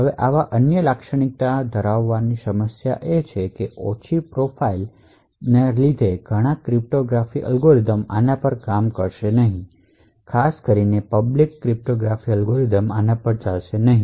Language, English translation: Gujarati, Now a problem with having such other characteristics, low profile is that a lot of cryptographic algorithms will not work on this, especially the public cryptography algorithms will not work on this